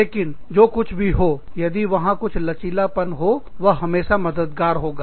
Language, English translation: Hindi, But, over and above that, if there is some flexibility, that always helps